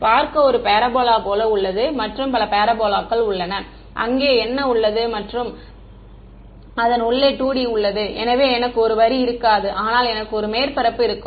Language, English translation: Tamil, Just to see is there one parabola and there are several parabolas what is there right and its in 2 D so, I will not have a line, but I will have a surface